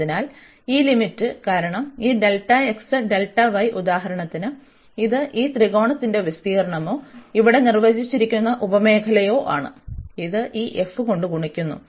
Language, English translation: Malayalam, So, this limit here, because this delta x delta y for example this was the area of this triangle or the sub region defined here, which is multiplied by this f